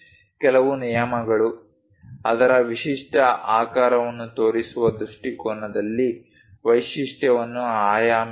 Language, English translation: Kannada, Few rules, dimension the feature in a view where its characteristic shape is shown